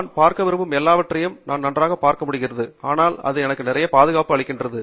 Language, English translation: Tamil, I can still see perfectly fine whatever it is that I wish to see, but it provides me with a lot of protection